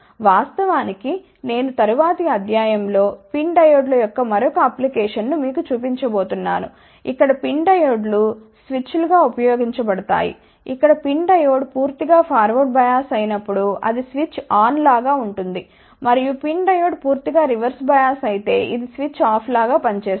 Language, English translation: Telugu, In fact, I am going to tell you in the next lecture another application of PIN diodes, where PIN diodes will be used as switches, where when the PIN diode is completely forward bias it will be like a switch on, and if the PIN diode is completely reverse bias it will act like a switch off ok